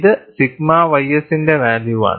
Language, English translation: Malayalam, It is a value of sigma y s